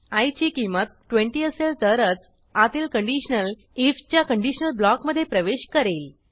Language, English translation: Marathi, Once the value becomes 20, the program enters the conditional if block